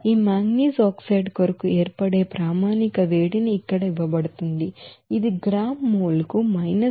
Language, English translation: Telugu, It is given here the standard heat of formation for this manganese oxide it is given 331